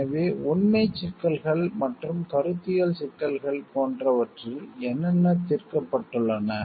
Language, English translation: Tamil, So, what is the factual issues and conceptual issues have resolved